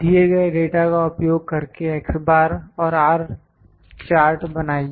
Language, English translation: Hindi, Using the following data make the x bar and R chart